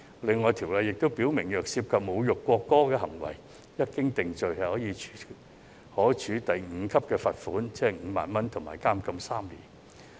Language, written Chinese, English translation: Cantonese, 此外，《條例草案》亦訂明，侮辱國歌的行為，一經定罪，可處第5級罰款及監禁3年。, Moreover the Bill also provides that behaviour that insults the national anthem is liable on conviction to a fine at level 5 ie 50,000 and to imprisonment for three years